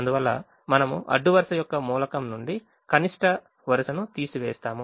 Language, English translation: Telugu, so we subtract four from every element of the first row